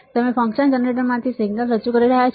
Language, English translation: Gujarati, You are introducing introducing a signal from a function generator